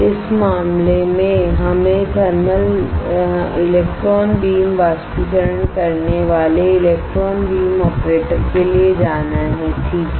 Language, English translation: Hindi, In this case we have to go for electron beam evaporator alright electron beam operator